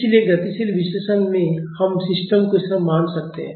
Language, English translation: Hindi, So, in dynamic analysis we can treat the system as this